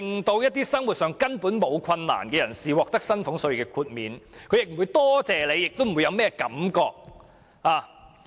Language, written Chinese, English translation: Cantonese, 他們在生活上根本毫無困難，獲寬減薪俸稅也不會感謝政府，更不會有甚麼任何感覺。, Since they do not have any livelihood problems they will not feel grateful to the Government for the reduction in salaries tax nor will they have any feeling about the taxation relief arrangement